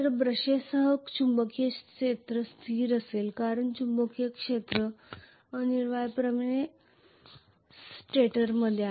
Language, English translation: Marathi, So magnetic field along with brushes will be stationary because magnetic field is essentially located in the stator